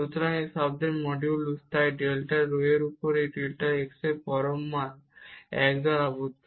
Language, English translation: Bengali, So, the modulus of this term so, absolute value of this delta x over delta rho is bounded by 1